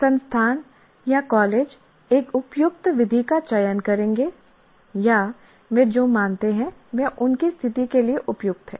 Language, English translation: Hindi, The institute or the college will select an appropriate method or what they consider is appropriate to their situation